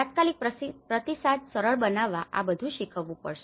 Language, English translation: Gujarati, The immediate response could be facilitated, so all this has to be taught